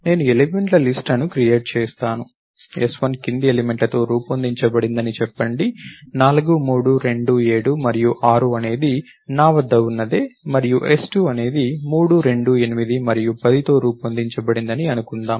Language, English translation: Telugu, I would create a list of elements, let us say, s1 is made up of the following elements, let us say 4, 3, 2, 7 and 6 is the something I have that and s2 is made up of 3, 2, 8 and 10